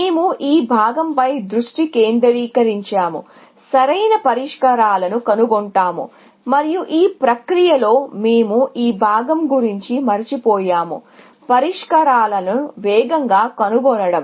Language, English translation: Telugu, We are focused on this part, finding optimal solutions, and in the process, we have forgotten about this part; finding solutions faster